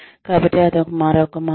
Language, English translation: Telugu, So, that is another way